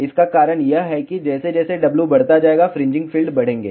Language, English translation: Hindi, The reason for that is that as W increases fringing fields will increase